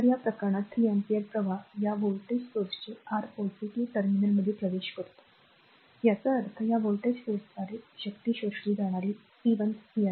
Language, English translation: Marathi, So, in this case 3 ampere current entering into the your what you call positive terminal of this voltage source so; that means, power absorbed by this voltage source this is p 1